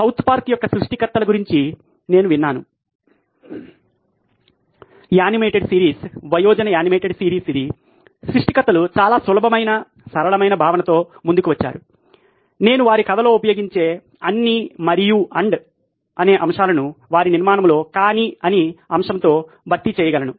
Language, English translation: Telugu, I have heard of the creators of South Park, the animated series an adult animated series, the creators came up with a very very easy simple concept is can I replace all the “and” that they use in their story in their structure with a “but” and it made it pretty interesting